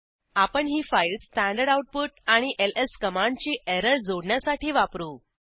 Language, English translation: Marathi, We are using this file to capture standard output and error of ls command